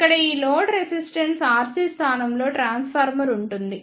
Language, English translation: Telugu, Here the load resistance R C is replaced by the transformer